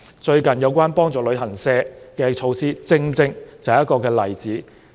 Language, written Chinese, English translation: Cantonese, 最近有關幫助旅行社的措施，正正就是一個例子。, The recent measure to help travel agencies is exactly an example